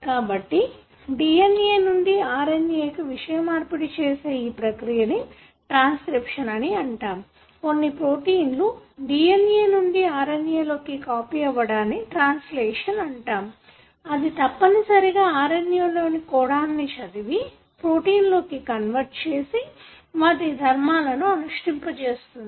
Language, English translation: Telugu, So, the process by which for example the information that is there in the DNA is carried to RNA is called as transcription wherein, you have set of proteins that help in copying the DNA into an RNA and you have another process which you call as translation which essentially reads the codon that are given in an RNA and convert that into a protein and the protein of course functions